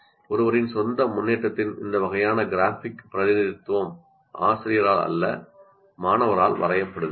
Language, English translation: Tamil, This kind of graphic representation of one's own progress is drawn by the student, not by the teacher